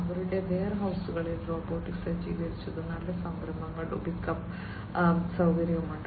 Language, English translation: Malayalam, They also have robot equipped, good storage, and pickup facility in their warehouses